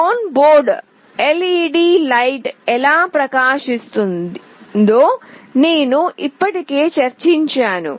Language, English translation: Telugu, I have already discussed how the onboard LED will glow